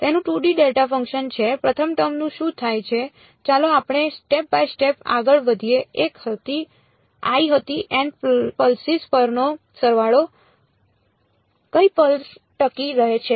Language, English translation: Gujarati, Its a 2D delta function what happens to the first term let us go step by step I was summation over N pulses which pulse survives